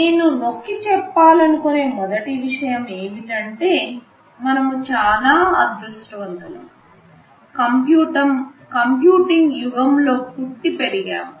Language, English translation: Telugu, The first thing I want to emphasize is that, we have been very lucky that we have been born and brought up in an age of computing